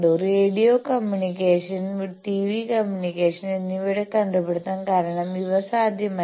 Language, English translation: Malayalam, Now, due to invention of radio, this radio communication, TV communication; these became possible